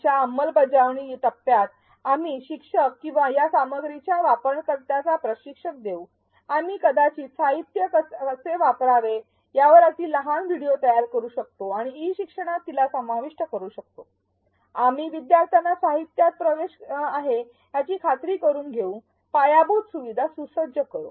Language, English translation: Marathi, In the Implement Phase of ADDIE, we will train the instructors or the users of these materials, we may even create short videos and insert it into the e learning on how to use the materials, we will make sure learners have access to the materials, equip infrastructures and so on